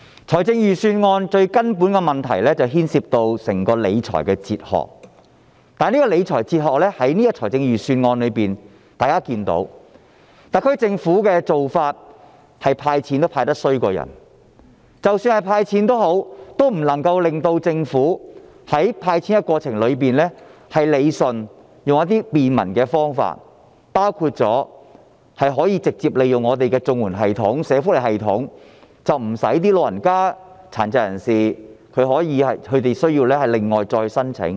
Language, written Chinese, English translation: Cantonese, 財政預算案最根本的問題牽涉到整個理財哲學，而就預算案中的理財哲學來說，大家也看到特區政府"派錢"也派得比人差，即使是"派錢"，也不能夠在過程中理順有關的安排，沒有採用便民的方法，包括直接利用本港的綜合社會保障援助及社會福利系統，使長者和殘疾人士無須另行申請。, The Budget essentially hinges on the Governments fiscal philosophy . However as far as the fiscal philosophy in the Budget is concerned we see how the Government fails even in giving cash handout . In the process the Government fails to straighten out the relevant arrangements and does not adopt some convenient methods including the direct use of the existing social welfare system and the Comprehensive Social Security Assistance CSSA system to disburse the payout so that the elderly and the disabled do not need to apply separately